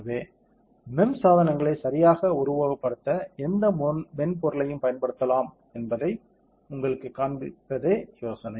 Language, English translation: Tamil, So, we thought, but the idea is to show you how any software can be used to simulate MEMS devices correct